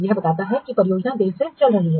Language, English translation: Hindi, It indicates the project is running late